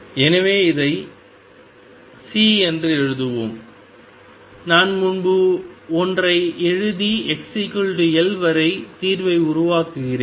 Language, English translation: Tamil, So, let us write it C, I wrote one earlier and build up the solution up to x equals L